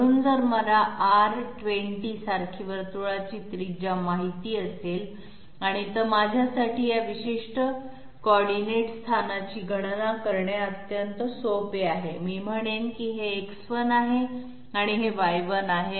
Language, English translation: Marathi, So if I know the radius of the circle like R 20 it is very, it is extremely simple for me to calculate this particular coordinate location, I will say this is X 1 and this is Y 1